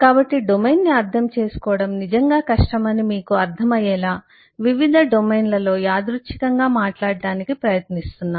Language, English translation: Telugu, so am just trying to randomly talk about different domains to make you understand that it is a really difficult to understand the domain